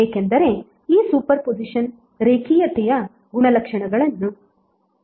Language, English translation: Kannada, Because this super position is following the linearity property